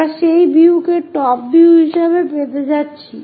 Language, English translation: Bengali, This is what we are going to get on that view as top view